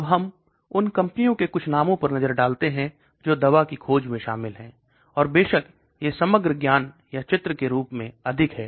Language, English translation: Hindi, Now let us look at some names of companies which are involved in drug discovery, and of course this is more as a overall knowledge or picture